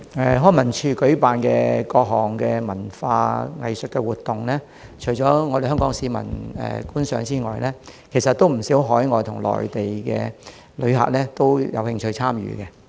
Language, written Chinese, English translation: Cantonese, 康文署舉辦多項文化藝術活動，除香港市民外，也有不少海外和內地旅客有興趣參與。, Apart from Hong Kong people quite a number of overseas and Mainland tourists are interested in taking part in various cultural and arts activities held by LCSD